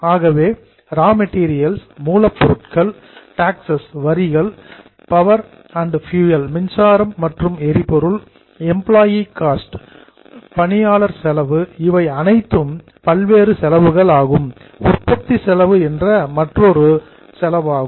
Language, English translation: Tamil, So, raw materials, taxes, power and fuel, employee costs, you know all of these are various expenses